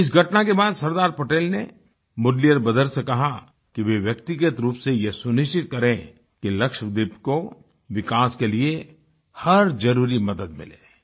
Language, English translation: Hindi, After this incident, Sardar Patel asked the Mudaliar brothers to personally ensure all assistance for development of Lakshadweep